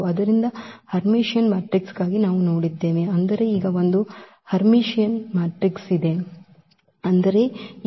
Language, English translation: Kannada, So, for Hermitian matrices we have seen, but now there is a skew Hermitian matrix; that means, this A star is equal to minus A